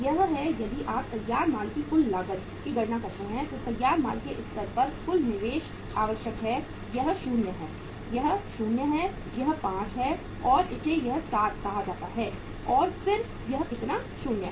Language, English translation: Hindi, This is the if you calculate the total cost of the finished goods, total investment required at the finished goods stage this is 0, this is 0 this is 5, and this is say this 7 and then this is going to be how much 0